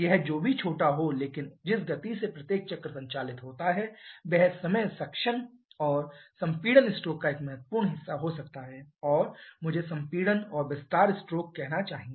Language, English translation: Hindi, Whatever small it may be but considering the speed at which each of the cycle operates that time can be a significant fraction of the suction or compression stroke or I should say the compression and expansion stroke